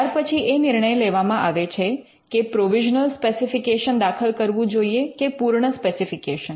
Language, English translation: Gujarati, Then they could be a call taken on whether to file a provisional specification or a complete specification